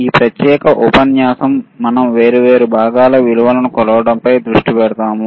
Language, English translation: Telugu, this particular module we are focusing on measuring the values of different components, right